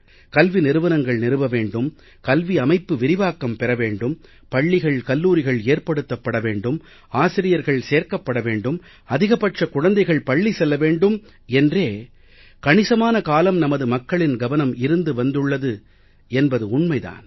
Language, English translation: Tamil, It is true that for a long time our focus has been on setting up educational institutions, expanding the system of education, building schools, building colleges, recruiting teachers, ensuring maximum attendance of children